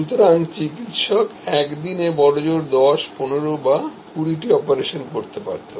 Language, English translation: Bengali, So, Doctor utmost could do may be 10, 15, 20 operations in a day